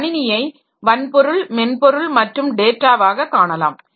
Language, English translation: Tamil, So, you can think about a computer system as hardware, software and data